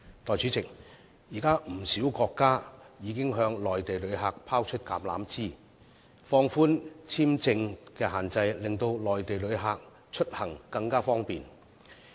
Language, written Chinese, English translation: Cantonese, 代理主席，現時不少國家已經向內地旅客伸出橄欖枝，放寬簽證限制，令內地旅客出行更為方便。, Deputy President at present many countries have already extended an olive branch to Mainland visitors by relaxing the visa requirements to facilitate inbound Mainland visitors